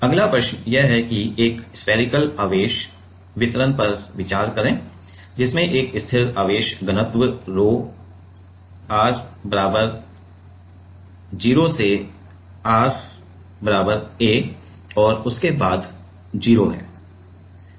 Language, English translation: Hindi, Next question is that consider a spherical charge distribution which has a constant charge density rho from r equal to 0 to r equal to a and is 0 beyond